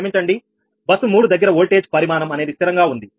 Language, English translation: Telugu, sorry, at bus three that voltage magnitude is fixed